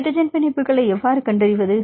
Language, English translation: Tamil, How to identify the hydrogen bonds